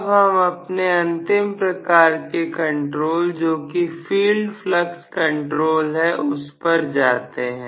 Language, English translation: Hindi, Now, let us try to look at the last type of control which is field flux control